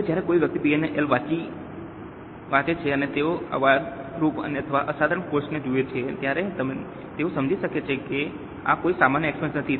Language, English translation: Gujarati, Now, when somebody is reading P&L and they look at an exceptional or extraordinary expense, they would understand that this is not a normal expense